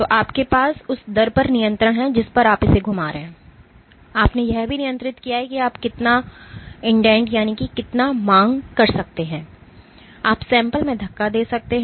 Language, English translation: Hindi, So, you have control over the rate at which you are rotating you have also control over how much you can indent, you can push into the sample